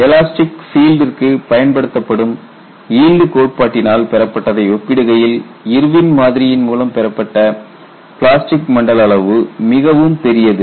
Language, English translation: Tamil, The plastic zone size obtain through Irwin’s model is quite large in comparison to the one obtain through the yield criteria applied to the elastic field